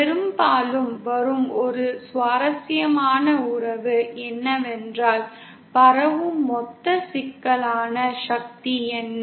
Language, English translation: Tamil, One interesting relation that often comes is what is the total complex power transmitted